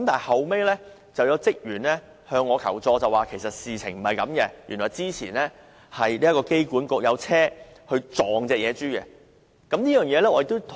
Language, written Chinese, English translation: Cantonese, 後來，有職員向我求助，指事實並非這樣，原來之前香港機場管理局曾有人用車撞野豬。, Some staff of the Airport Authority Hong Kong AA later sought my help and revealed that some AA staff hit the pig with a vehicle